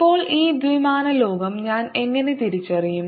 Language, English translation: Malayalam, how do i realize this two dimensional world